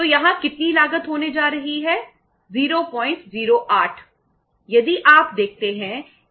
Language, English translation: Hindi, So how much cost is going to be there, 0